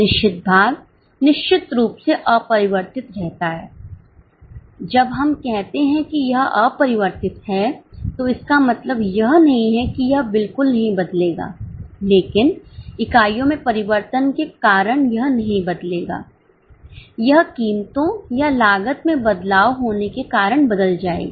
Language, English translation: Hindi, Of course when we say unchanged it does not mean it will not change at all but it will not change because of changing units, it will change because of change in prices or costs